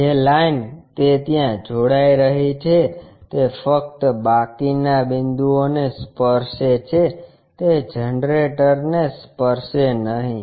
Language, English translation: Gujarati, The line whatever it is joining there only it touches the remaining points will not touch the generator